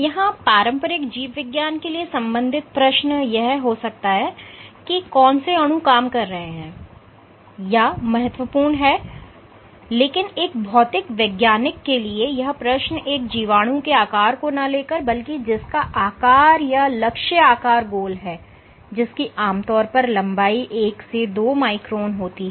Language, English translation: Hindi, So, for a traditional biologist the question of relevance might be what molecules are at play, but a physicist might ask the question that instead of a bacterium which has a shape like this you typically have one to two microns in length if the target size was round